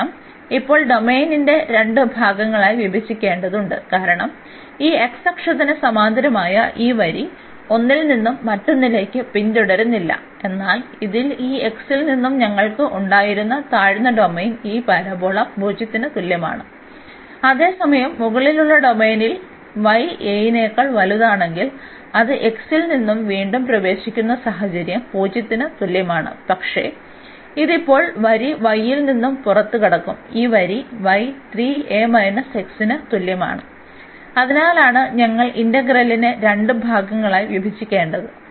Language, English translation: Malayalam, So, this is the order the change of order of integration we got this 2 integrals because we need to divide now the domain into 2 parts because the line this parallel to this x axis was not following from 1 to the another one, but in this lower domain we had from this x is equal to 0 to this parabola while in the upper domain here when y is greater than a, then we have the situation that it is entering again at x is equal to 0, but it will exit now from this line y is equal to 3 a minus x and that is the reason we have to break the integral into 2 parts